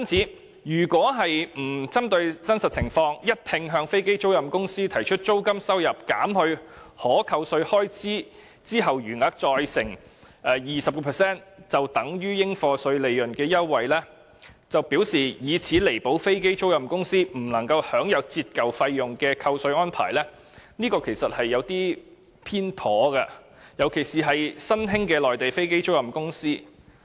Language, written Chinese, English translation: Cantonese, 因此，如果沒有針對真實情況，而一併向飛機租賃公司提出租金收入減去可扣稅開支後的餘額，再乘以 20% 便等於應課稅利潤的優惠，並表示以此彌補飛機租賃公司不能享有折舊費用的扣稅安排，這便是有些偏頗的，特別是對於新興的內地飛機租賃公司。, Therefore we will be very partial indeed if we ignore the actual situation offer all aircraft lessors a uniform tax concession of calculating taxable profits based on the above mentioned formula and claim that this is meant to compensate aircraft lessors for the lack of depreciation allowances . This is especially the case with emerging Mainland aircraft lessors